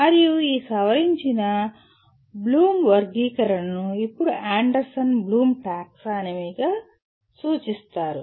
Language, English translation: Telugu, And this revised taxonomy is now referred to as Anderson Bloom Taxonomy